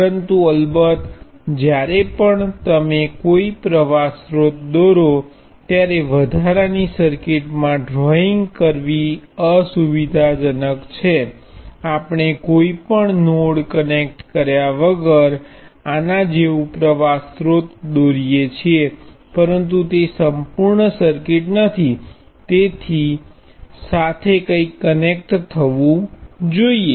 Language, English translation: Gujarati, But of course, it is inconvenient to be a drawing in extra circuit each time you draw a current source, we do draw a current source like this without anything connected to it, but that is not a complete circuit something has to be connected to the current source